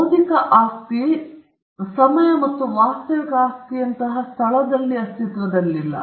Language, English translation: Kannada, Intellectual property does not exist in time and space like real property